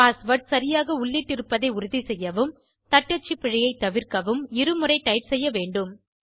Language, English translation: Tamil, This is to ensure that i created the password correctly .This will prevent typing mistakes